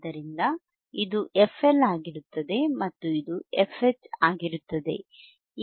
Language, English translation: Kannada, So, this one would be fL right and this one would be f H ok